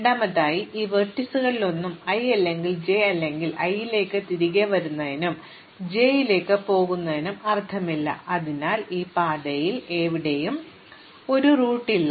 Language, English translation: Malayalam, And secondly, none of these vertices either i or j, there is no point in coming back to i and then going to j, so there is no loop anywhere in this path